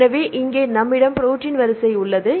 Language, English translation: Tamil, So, here we have the protein sequence